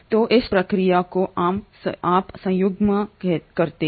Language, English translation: Hindi, So this process is what you call as conjugation